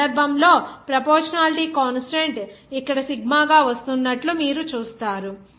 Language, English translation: Telugu, In this case, you will see that the proportionality constant is coming as sigma here